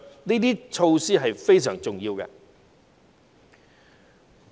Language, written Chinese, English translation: Cantonese, 這些措施非常重要。, These are very important measures